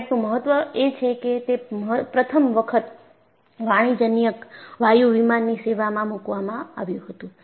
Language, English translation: Gujarati, The importance of comet is, this was the first commercial jet liner put into service